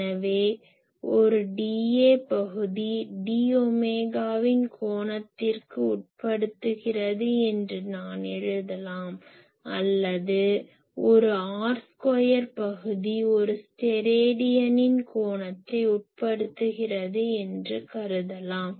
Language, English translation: Tamil, So, I can write that a d A area d A area subtends an angle of d omega or I can start that an r square area subtends an angle of one Stedidian